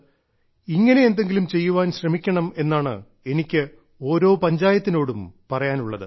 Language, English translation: Malayalam, I appeal that every panchayat of the country should also think of doing something like this in their respective villages